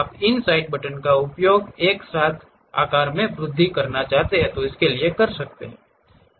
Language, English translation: Hindi, You want to increase the size use these side buttons together